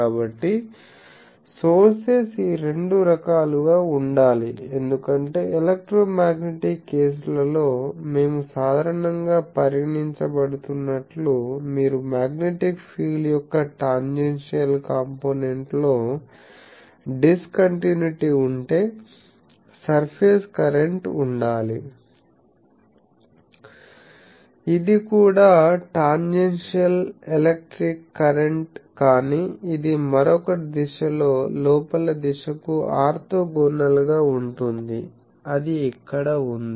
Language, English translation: Telugu, So, sources should be of these 2 type because you see we generally considered in the electromagnetic cases; that if you have a discontinuity in the tangential component of the magnetic field there should be a surface current, which is also tangential electric current, but it is in a another direction orthogonal to the in direction so that is here